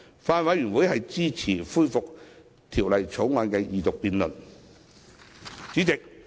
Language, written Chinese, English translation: Cantonese, 法案委員會支持恢復《條例草案》二讀辯論。, The Bills Committee supports the resumption of the Second Reading debate on the Bill